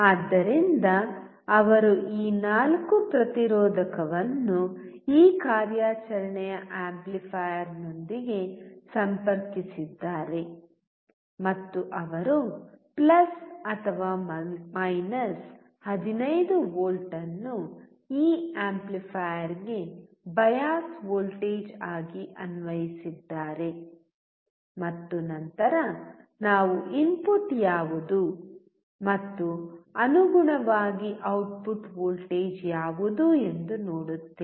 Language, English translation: Kannada, So, he has connected this four resistor with this operation amplifier and he has applied + 15V as a bias voltage to this amplifier and then we will see what is the input and what is the output voltage correspondingly